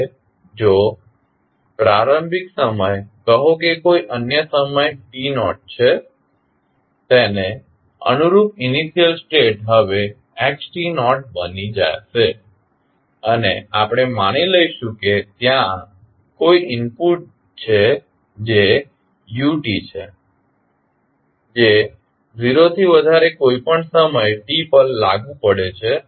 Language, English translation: Gujarati, Now, if initial time is say any other time t naught the corresponding initial state will now become xt naught and we assume that there is an input that is ut which is applied at any time t greater than 0